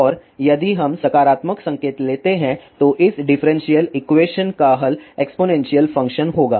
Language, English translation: Hindi, And, if we take positive sign then the solution of this differential equation will be exponential function